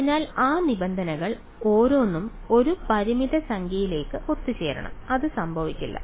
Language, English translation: Malayalam, So, each of those terms should converge to a finite number and that will not happen right